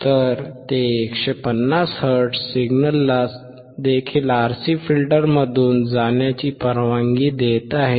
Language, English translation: Marathi, So, for 150 also, it is allowing 150 hertz signal to also pass through the RC filter